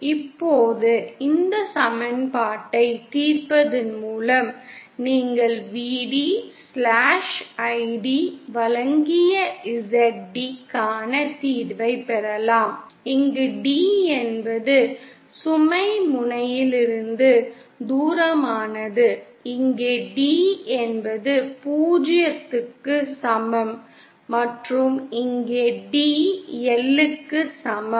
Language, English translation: Tamil, Now solving this equation you can obtain the solution for Zd given by Vd/Id where d is the distance from the load end that is here d is equal to 0 and here d is equal to L